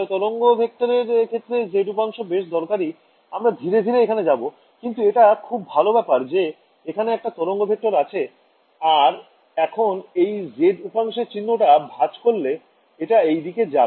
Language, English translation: Bengali, The z component of the wave vectors will be very crucial we will come to it subsequently, but that is a good point I mean you have a wave vector that is going like this if I flip the sign of the z component it will just go up right that is was